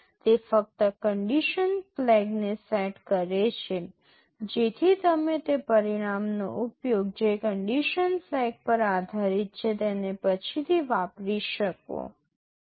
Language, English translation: Gujarati, It only sets the condition flag so that you can use that result later depending on the condition flag